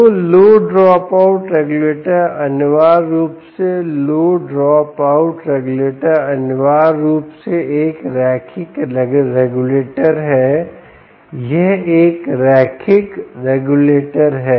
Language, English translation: Hindi, ok, so the low drop out regulator, essentially, low drop out regulator, essentially, is a linear regulator